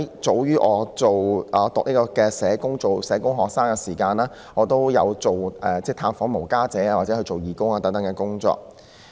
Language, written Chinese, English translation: Cantonese, 早於我是社工系學生時，我已經探訪露宿者及參與有關義務工作。, As early as I was a social work student I already conducted visits to street sleepers and took part in the relevant work